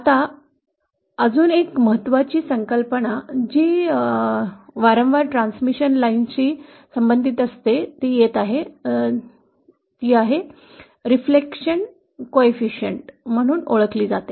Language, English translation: Marathi, Now coming to yet another important concept that is frequently associate it with transmission lines that is called as the reflection coefficient